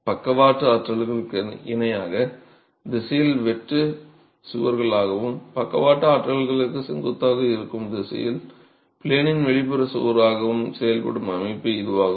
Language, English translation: Tamil, This is the system which works as shear walls in the direction parallel to the lateral forces and in the direction perpendicular to the lateral forces acts as an out of plain wall